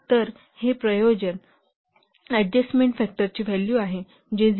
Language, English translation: Marathi, So this will be the value of the effort adjustment factor, that is 0